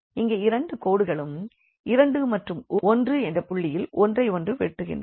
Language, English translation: Tamil, So, here these 2 lines intersect at this point here are 2 and 1; so, we can write down here 2 and 1